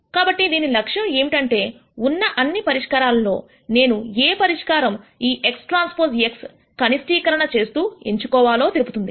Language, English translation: Telugu, So, what this objective does is of all of those solutions how do I pick, that one solution which will minimize this x transpose x